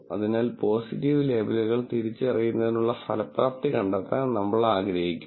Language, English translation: Malayalam, So, we want to find the effectiveness in identifying positive label